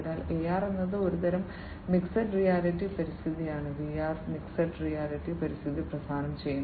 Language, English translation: Malayalam, So, AR is some kind of mixed reality kind of environment VR provides mixed reality environment